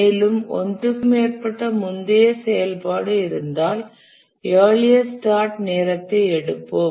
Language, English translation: Tamil, And if there is more than one previous activity, we will take the latest finish time